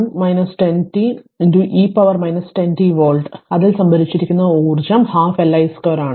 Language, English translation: Malayalam, 05 into 1 minus 10 t into e to the power minus 10 t volts, so energy stored is half Li square